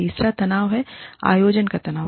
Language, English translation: Hindi, The third tension is, tension of organizing